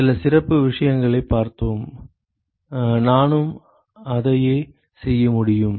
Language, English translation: Tamil, We looked at some of the special cases, I can do the same thing